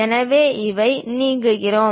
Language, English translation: Tamil, So, we are removing this